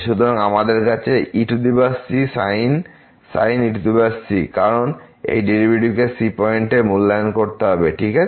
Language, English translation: Bengali, So, we have power power because this the derivative has to be evaluated at point , ok